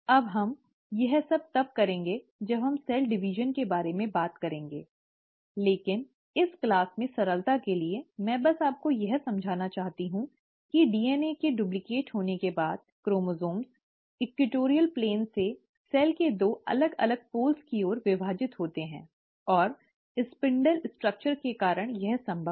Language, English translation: Hindi, Now I’ll come to all this when we talk about cell division, but for simplicity in this class, I just want you to understand that after the DNA has duplicated, the chromosomes divide from the equatorial plane towards the two separate poles of the cell, and it is possible because of the spindle structure